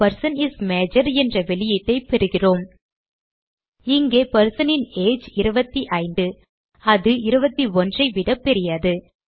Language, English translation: Tamil, We get the output as the person is major Here, the persons age is 25, which is greater than 21